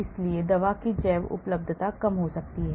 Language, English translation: Hindi, so the bioavailability of the drug may go down